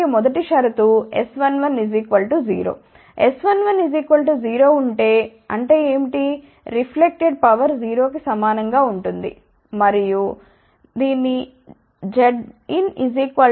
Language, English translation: Telugu, If S 1 1 is equal to 0; that means, reflected power will be equal to 0 and this also implies that Z input is equal to Z 0